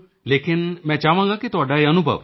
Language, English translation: Punjabi, But I want this experience of yours